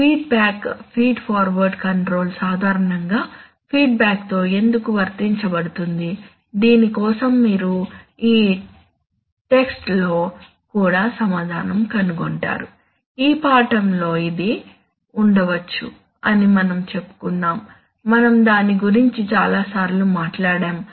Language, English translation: Telugu, And why feedback feed forward control is generally applied with feedback, this also you will find an answer in this text, we have said it may in this lesson, we have talked about it many times